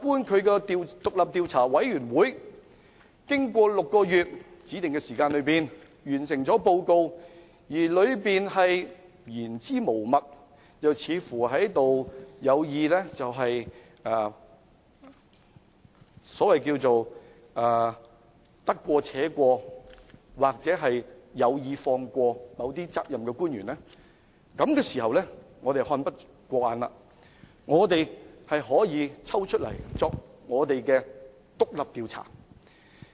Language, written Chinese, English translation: Cantonese, 倘若調查委員會在6個月的指定時間內完成報告，而報告的內容言之無物，又或者得過且過，有意放過某些須負責任的官員，在這個時候，我們看不過眼，立法會便可以進行獨立調查。, If the Commission of Inquiry completes a report within the specified period of six months but the report is devoid of substance or is perfunctorily written with the intent of letting some responsible officials get off the hook by then if the Legislative Council is dissatisfied it can conduct an independent investigation